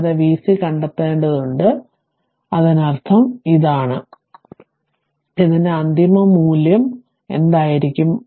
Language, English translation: Malayalam, And you have to find out v c infinity, that means this one, what will be the final value of this one